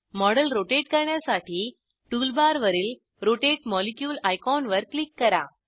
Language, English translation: Marathi, To rotate the model, click on the Rotate molecule icon on the tool bar